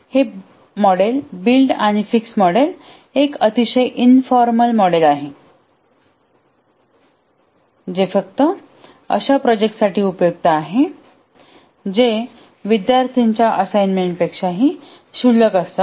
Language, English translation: Marathi, So this model, build and fix model is a very, very informal model, suitable only for projects where which is rather trivial like a student assignment